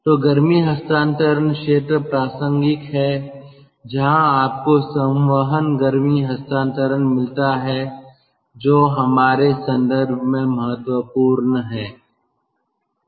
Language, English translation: Hindi, so heat transfer area is relevant when you have got convective heat transfer, which mostly we are concerned for